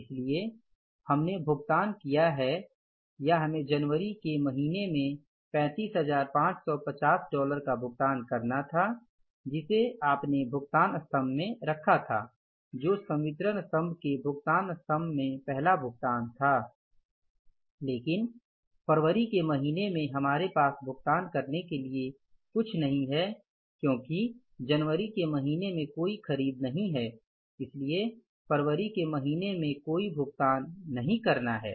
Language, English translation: Hindi, So we have paid or we had to pay $35,550 in the month of January which we put in the payments column, first payment in the payments column or the disbursements column, but in the month of February we have nothing to pay because no purchase was made in the month of January, so no payment has to be made in the month of February